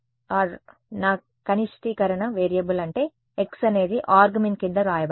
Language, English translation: Telugu, Ar; what is my variable of minimization is x that is written below the argmin